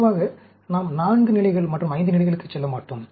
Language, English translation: Tamil, Generally, we will not go 4 levels and 5 levels